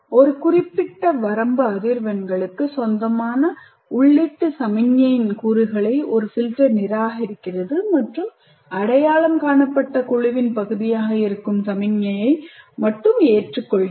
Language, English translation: Tamil, A filter is, it rejects components of the input signal which belong to a certain range of frequencies and accepts only the signal that is part of an identified band